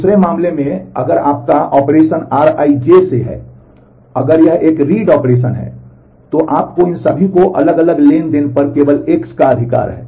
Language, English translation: Hindi, On the other case if your operation is of the from r I j if it is a read operation then all that you need to look for is only a right on this X on the different transaction